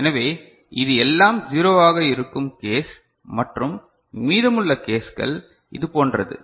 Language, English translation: Tamil, So, that is all zero case and rest of the cases are like this